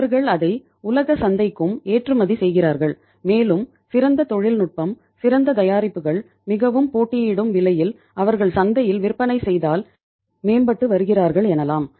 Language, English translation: Tamil, They are exporting it to the world markets also and better technology, better products at a very competitive price if they are selling in the market they are improving